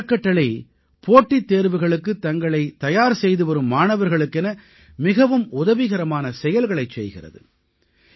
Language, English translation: Tamil, This organisation is very helpful to students who are preparing for competitive exams